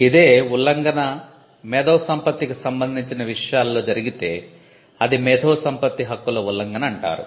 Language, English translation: Telugu, When trespass happens on an intellectual property then we call that by the word infringement